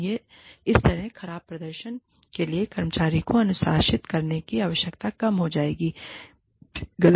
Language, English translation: Hindi, And, that way, the need for disciplining the employee, for poor performance, will go down